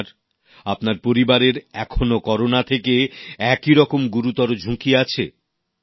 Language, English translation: Bengali, You, your family, may still face grave danger from Corona